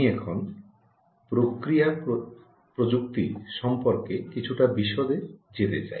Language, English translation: Bengali, ok, now i want to get into a little bit of detail on the process technology